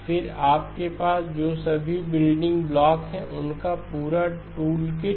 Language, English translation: Hindi, Then the complete tool kit of what are all the building blocks that you have